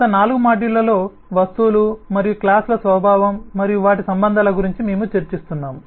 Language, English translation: Telugu, over the last 4 modules we have been discussing, introducing about the nature of objects and classes and their relationships